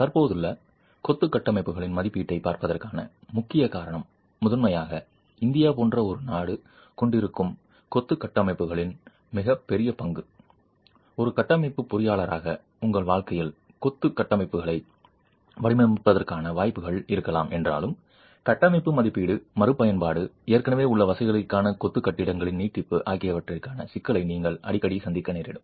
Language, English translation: Tamil, And the key reason for looking at assessment of existing masonry structures is primarily the very large stock of existing masonry structures that a country like India has, that while there may be opportunities for design of masonry structures in your career as a structural engineer, very often you might encounter the problem of structural assessment, retrofit, extension of masonry buildings which are existing facilities